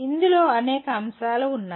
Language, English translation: Telugu, There are several elements into this